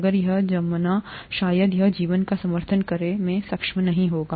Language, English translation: Hindi, If it solidifies probably it won’t be able to support life